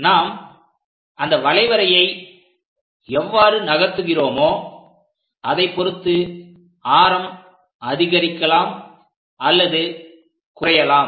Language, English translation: Tamil, Radius can increase, decrease based on how we are going to move this curve